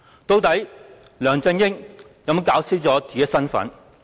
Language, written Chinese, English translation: Cantonese, 究竟梁振英有否弄清楚自己的身份？, Has LEUNG Chun - ying ascertained his own position?